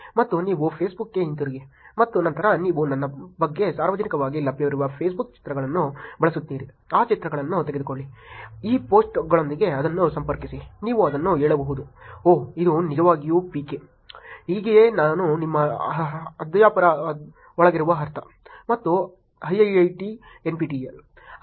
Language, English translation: Kannada, And you go back to Facebook, and then you use the Facebook pictures that are publicly available about me, take those pictures connect it with these posts you can say it oh this is actually PK, this is how I will also I mean insides your faculty and IIIT, NPTEL